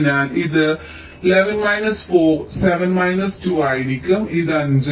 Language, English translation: Malayalam, eleven minus three, it will be eight